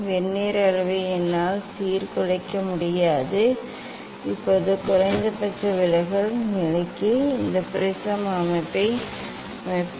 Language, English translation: Tamil, I cannot disrupt the Vernier scale Now I will set this prism for minimum deviation position